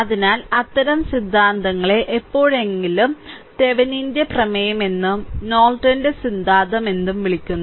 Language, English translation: Malayalam, And, so such theorems are called sometime Thevenin’s theorem and Norton’s theorem right